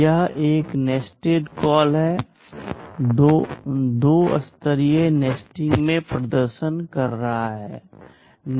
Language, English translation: Hindi, This is a nested call, two level nesting I am demonstrating